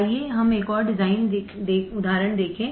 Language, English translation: Hindi, Let us see another example design